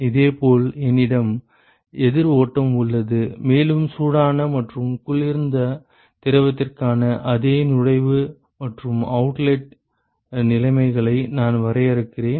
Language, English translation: Tamil, And similarly I have a counter flow and, I define the same inlet and outlet conditions for the hot and the cold fluid ok